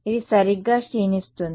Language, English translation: Telugu, It is decaying right